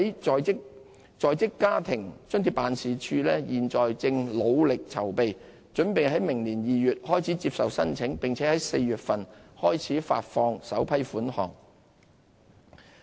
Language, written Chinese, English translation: Cantonese, 在職家庭津貼辦事處現正努力籌備，準備在明年2月開始接受申請，並在4月份開始發放首批款項。, The Working Family Allowance Office is now hard at work making the necessary preparations for opening of application in February next year and the disbursement of the first batch of payments beginning April